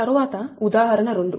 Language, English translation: Telugu, next is example two